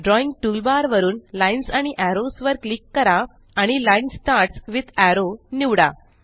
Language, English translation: Marathi, From the Drawing toolbar gtgt click on Lines and Arrows and select Line Starts with Arrow